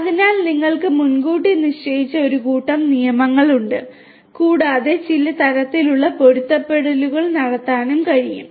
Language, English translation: Malayalam, So, you have a predefined set of rules and some kind of matching can be done